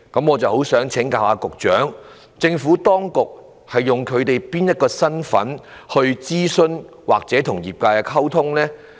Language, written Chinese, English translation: Cantonese, 我想請教局長，政府當局以該公司哪個身份諮詢該公司或與其溝通呢？, I would like to ask the Secretary What is the capacity of HKPA when the Government consults or communicates with it?